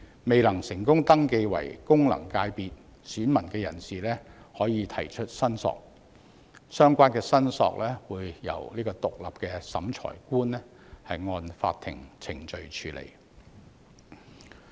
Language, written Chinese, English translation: Cantonese, 未能成功登記為功能界別選民的人士，可以提出申索，相關申索會由獨立的審裁官按法定程序處理。, A person who has failed to register as an elector in an FC can lodge claims which will be handled by an independent Revising Officer according to the statutory procedures